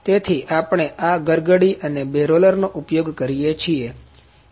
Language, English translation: Gujarati, So, we are using this pulley and feeder two rollers